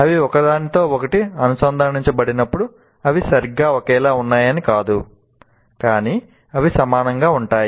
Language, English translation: Telugu, When they're connected to each other, it doesn't mean they're exactly identical